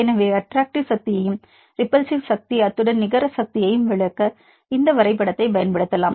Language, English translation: Tamil, So we can use this graph to explain the attractive force and repulsive force; as well as net force